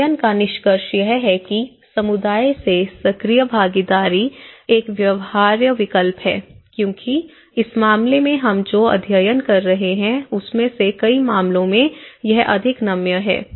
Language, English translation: Hindi, And the study concludes that active participation from the community is a viable alternative because that is more flexible in many of the cases in this course what we are studying is a participation, participation and participation